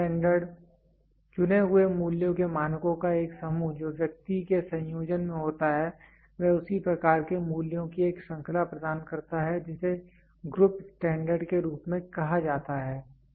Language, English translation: Hindi, Group standard: a set of standards of chosen values that individual are in combination provides a series of values of the same kind is called as group standards